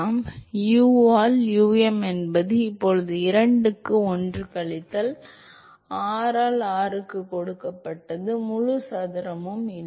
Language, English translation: Tamil, So, therefore, u by um is now given by 2 into 1 minus r by r naught the whole square